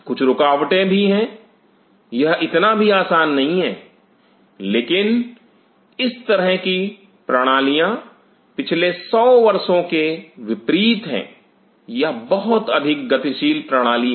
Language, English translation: Hindi, There are some any blockages also it is not so easy, but such systems are unlike last 100 years these are more dynamic system